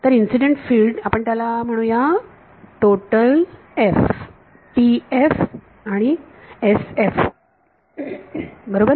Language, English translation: Marathi, So, incident field in the total let us call it total F let us call it TF and SF ok